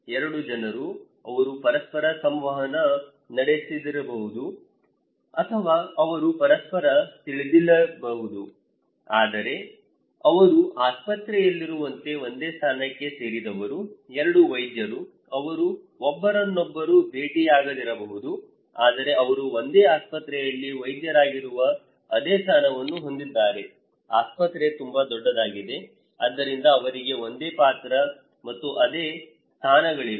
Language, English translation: Kannada, The 2 people they do not interact with each other or they may not know each other at all, but they belong to same position like in a hospital, 2 doctors, they may not meet to know each other, or they may not know actually, but they have a same position that they are a doctor in a same hospital, the hospital is very big so, they have same role and same positions